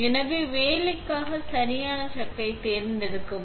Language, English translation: Tamil, So, select the right chuck for the job